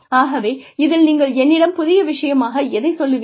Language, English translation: Tamil, So, what is the new thing that, you are telling me